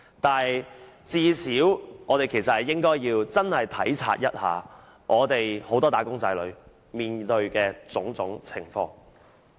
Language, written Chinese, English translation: Cantonese, 但是，最少我們應該體察一下很多"打工仔女"面對的種種情況。, But at least we should appreciate and examine the various situations faced by many wage earners